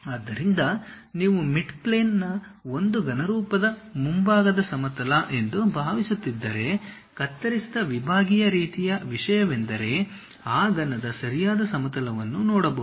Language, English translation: Kannada, So, if you are assuming something like a cuboid one of the mid plane is front plane, the cut sectional kind of thing is stop plane and there is a right plane also we can see right plane of that cuboid